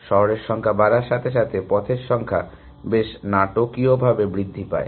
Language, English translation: Bengali, As the number of cities increased, the number of paths increases quite dramatically